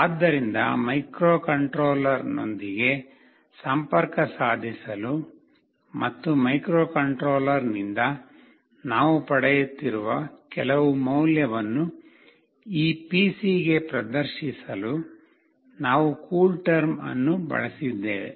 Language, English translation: Kannada, So, we have used CoolTerm to connect with the microcontroller and to display some value that we are receiving from the microcontroller into this PC